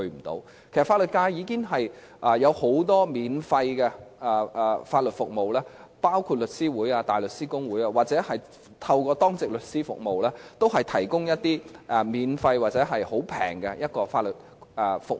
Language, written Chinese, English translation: Cantonese, 其實，法律界已經提供很多免費的法律服務，包括香港律師會、香港大律師公會或透過當值律師服務，都有向市民提供一些免費或價錢非常便宜的法律服務。, In fact the legal profession has provided a myriad of legal services for free . For example through The Law Society of Hong Kong the Hong Kong Bar Association or the Duty Lawyer Service members of the public are provided with free or inexpensive legal services